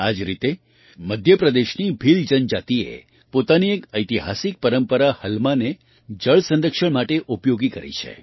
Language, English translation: Gujarati, Similarly, the Bhil tribe of Madhya Pradesh used their historical tradition "Halma" for water conservation